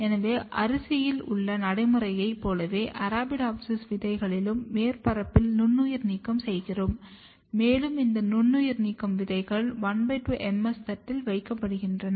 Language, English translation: Tamil, So, similar to the procedure in rice we also surface sterilize the seeds of Arabidopsis and these sterilize seeds are placed on the half MS plate